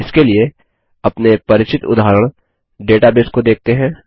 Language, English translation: Hindi, For this, let us consider our familiar Library database example